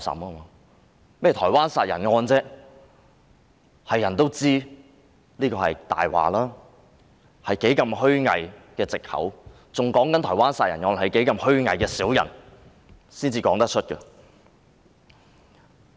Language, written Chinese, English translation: Cantonese, 他們提到的台灣殺人案，所有人也知道那只是謊話和無比虛偽的藉口，只有虛偽的小人才說得出口。, Their allusion to the Taiwan murder case as everyone knows is just a lie a most hypocritical excuse . Only hypocrites would have the face to say it